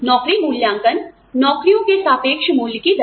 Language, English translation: Hindi, Job evaluation, to rate the relative worth of jobs